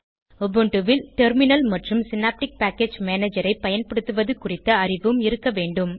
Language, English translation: Tamil, And you must also have knowledge of using Terminal and Synaptic Package Manager in Ubuntu